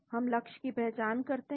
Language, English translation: Hindi, We identify the target